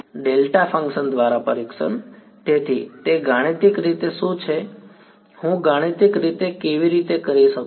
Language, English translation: Gujarati, Testing by delta function right testing by ; so, what is that mathematically how do I do in mathematically